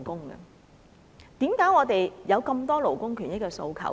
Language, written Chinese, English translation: Cantonese, 為何我們有那麼多勞工權益的訴求？, Why do we still have so many demands in relation to labour rights and interests?